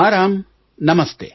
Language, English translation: Kannada, Yes Ram, Namaste